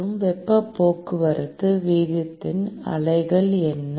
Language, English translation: Tamil, And the units of heat transport rate is what